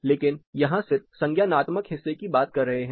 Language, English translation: Hindi, But then what we talk about here is only the cognitive part